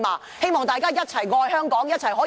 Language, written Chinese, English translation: Cantonese, 我希望大家一起愛香港，一起進步。, I hope that we can progress together in our love for Hong Kong